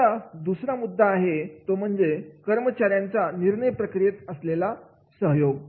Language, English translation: Marathi, Now, second point is collaborate with employees in relevant decisions